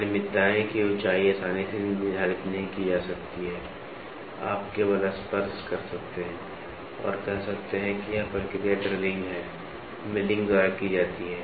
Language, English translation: Hindi, The height of the asperities cannot be readily determined, you can only touch and say this process is done by drilling, milling